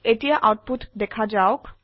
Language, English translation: Assamese, Now let us see the output